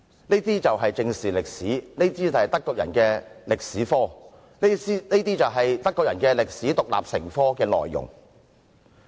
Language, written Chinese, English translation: Cantonese, 這便是正視歷史，是德國人的歷史科，是德國人把歷史獨立成科的內容。, That is how the Germans squarely face history; that is the history of the Germans; and that is how the Germans compile the content of their history as an independent subject